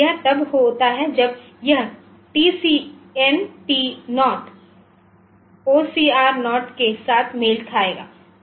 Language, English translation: Hindi, So, it is when the output matches whenever this TCNT0 will match with OCR0